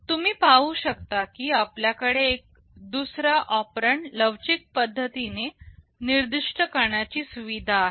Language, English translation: Marathi, You see here we have a facility of specifying the second operand in a flexible way